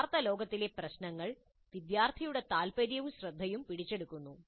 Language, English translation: Malayalam, The real old problems capture students' interest and attention